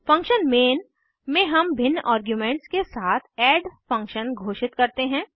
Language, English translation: Hindi, In function main we declare the add function with different arguments